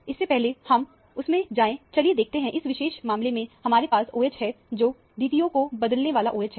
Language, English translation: Hindi, Before we go into that, let us see that, we have a OH, which is the a D2O exchangeable OH in this particular case